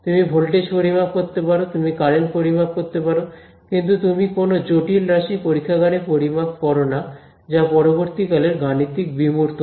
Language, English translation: Bengali, You measure voltage, you measure current right; you do not measure a complex quantity in the lab right that is a later mathematical abstraction